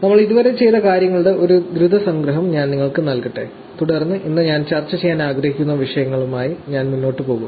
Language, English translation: Malayalam, So, let me just give you a quick summary of what we have seen until now and then, I will go ahead with the topics that I wanted to cover today